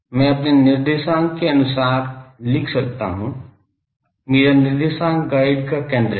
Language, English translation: Hindi, I can write according to my using coordinate, my coordinate is a center of the guide